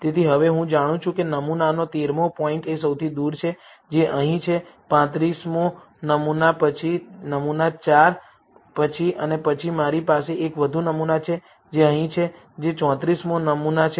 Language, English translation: Gujarati, So now, I know the 13th point of the sample is the farthest, which is here, followed by the 35th sample, followed by the sample 4 and then I have one more sample, which is here, which is the 34th sample